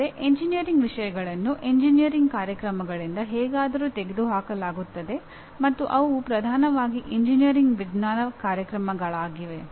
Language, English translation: Kannada, That means engineering subjects are somehow purged out of engineering programs and they have become dominantly engineering science programs